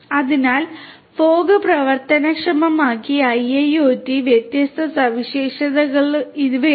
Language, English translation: Malayalam, So, these are some of these different features of fog enabled IIoT